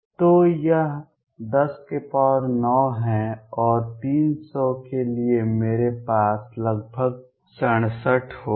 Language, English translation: Hindi, So, that is 10 raise to 9, and for 300 I am going to have about 6 7